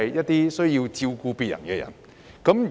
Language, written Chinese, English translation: Cantonese, 便是照顧別人的人。, They are those who take care of others